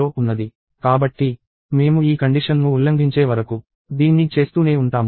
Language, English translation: Telugu, So, we keep doing this till we violate this condition